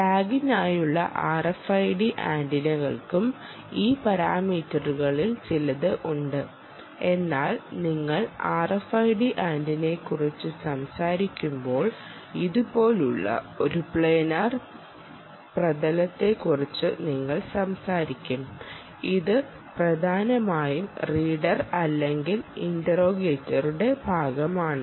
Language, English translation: Malayalam, r f i d antenna for the tag also has a few of these parameters, but by and large, when you talk about r f i d antenna, you will be talking about a flat surface like this ah, which is essentially part of the readers, or nothing but the user